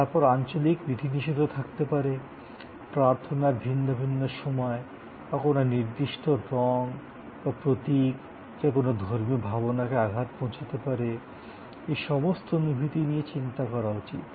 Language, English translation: Bengali, Then, they are regions restrictions, different times of prayer or you know the certain colors schemes, certain images, which may or may not may of offend some religious sentiments all these have to be thought off